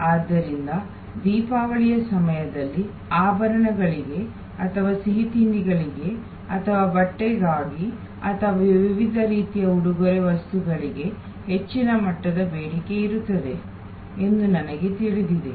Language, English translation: Kannada, So, we know that during Diwali there will be a higher level of demand for jewelry or for sweets or for clothing or for different types of gift items